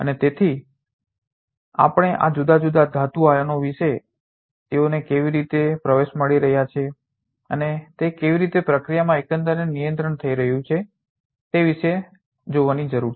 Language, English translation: Gujarati, And therefore, we need to see about these different metal ions how they are getting in and how they are getting controlled overall in the process